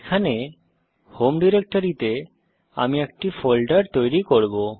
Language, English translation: Bengali, Here, in the home directory i will create a folder